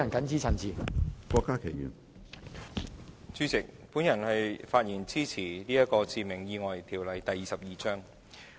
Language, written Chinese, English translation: Cantonese, 主席，我發言支持根據《致命意外條例》動議的決議案。, President I rise to speak in support of the resolution under the Fatal Accidents Ordinance Cap . 22